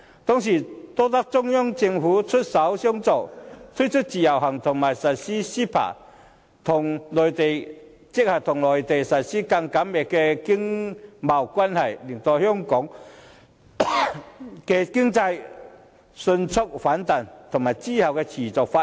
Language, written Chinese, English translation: Cantonese, 當時多得中央政府出手相助，推出自由行和實施 CEPA， 與內地建立更緊密的經貿關係，才令香港的經濟迅速反彈，之後亦得以持續發展。, With the support of the Central Government the Individual Visit Scheme and CEPA were introduced to establish a closer commercial relationship with the Mainland and hence Hong Kongs economy was able to recover quickly and continue to develop